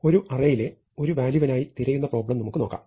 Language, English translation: Malayalam, Let us look at the problem of searching for a value in an array